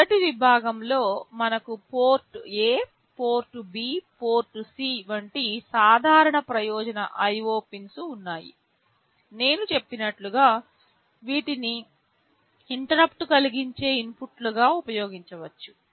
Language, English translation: Telugu, In the first section we have the general purpose IO pins like the port A, port B, port C I talked about which can be used as interrupt inputs